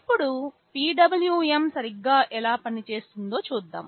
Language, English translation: Telugu, Now, let us see how exactly PWM works